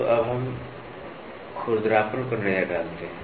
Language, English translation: Hindi, So, now, let us look into roughness